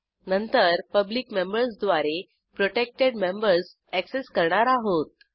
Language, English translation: Marathi, Then we access the protected members using the public members